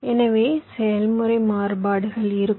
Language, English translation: Tamil, so there will be process variations